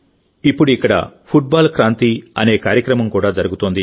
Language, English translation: Telugu, Now a program called Football Kranti is also going on here